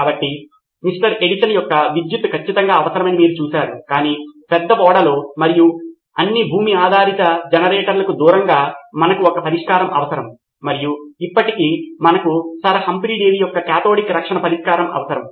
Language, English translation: Telugu, Edison’s electricity was definitely needed but in a large ship and in away from all its generators which were land based we needed a solution and still we needed Sir Humphry Davy’s solution of cathodic protection